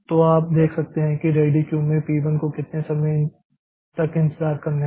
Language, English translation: Hindi, So, so you can see like how long time, how much time P1 is waiting in the ready queue